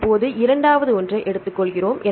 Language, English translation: Tamil, Now, we take the second one